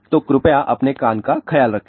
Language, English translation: Hindi, So, please take care of your ear